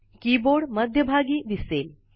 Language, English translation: Marathi, The Keyboard is displayed in the centre